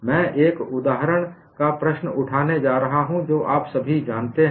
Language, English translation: Hindi, I am going to take up one example problem which all of you know